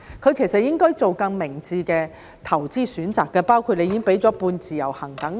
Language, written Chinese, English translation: Cantonese, 他其實應該做更明智的投資選擇，包括當局已經提供了"半自由行"等。, They should actually make wiser investment choices such as making use of the semi - portability arrangement provided by the authorities